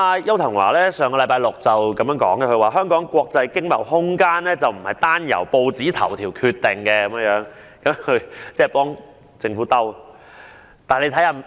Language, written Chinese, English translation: Cantonese, 邱騰華在上星期六表示，香港國際經貿空間不是單由報章頭條決定，其實他只是為政府自圓其說。, Mr Edward YAU said last Saturday that Hong Kongs room for international trade was not simply determined by newspaper headlines . In fact he was simply trying to justify what the Government has done